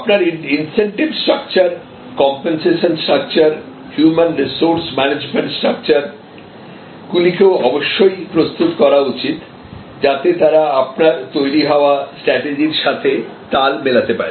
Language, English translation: Bengali, And your incentive structure, your compensation structure, the entire human resource management structure also must be geared up, so that they are in tune with your evolving strategy